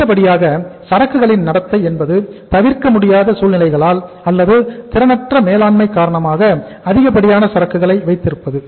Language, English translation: Tamil, Next thing happens in the behaviour of inventory is that excessive inventory is due to unavoidable circumstances or inefficient management